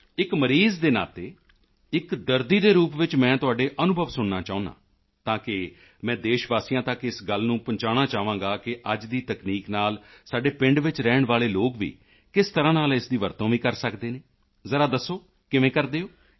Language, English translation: Punjabi, As a patient, I want to listen to your experiences, so that I would like to convey to our countrymen how the people living in our villages can use today's technology